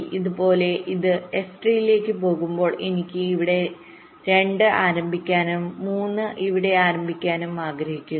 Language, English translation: Malayalam, similarly, when this goes to s three, i want to start two here and start three here